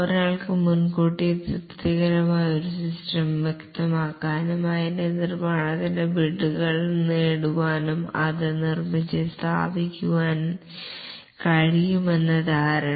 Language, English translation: Malayalam, The assumption that one can specify a satisfactory system in advance, get beads for its construction, have it built and install it